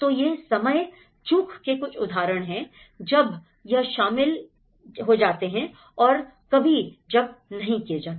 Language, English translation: Hindi, So, these are some of the examples of the time lapse when it is included and when it is not included